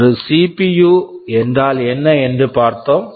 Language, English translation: Tamil, Well we have seen what is a CPU